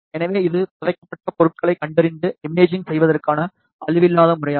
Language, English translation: Tamil, So, this is a non destructive method of detection and imaging of buried objects